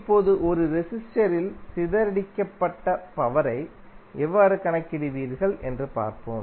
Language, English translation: Tamil, Now, let us see, how you will calculate the power dissipated in a resistor